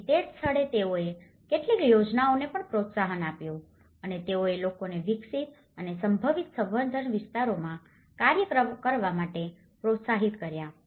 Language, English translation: Gujarati, So, that is where they have also promoted certain schemes and they also developed and encouraged the people to work on the possible cultivated areas